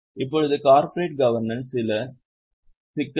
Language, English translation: Tamil, Now, a few more issues in corporate governance